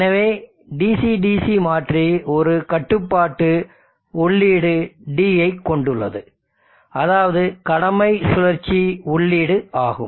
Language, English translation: Tamil, So you say this is the DC DC converter it has a control input D the duty cycle input,